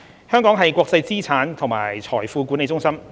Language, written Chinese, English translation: Cantonese, 香港是國際資產及財富管理中心。, Hong Kong is an international asset and wealth management centre